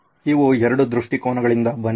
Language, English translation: Kannada, These are from 2 perspectives